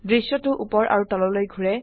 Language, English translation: Assamese, The view rotates upwards